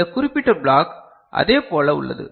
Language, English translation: Tamil, This particular block is similar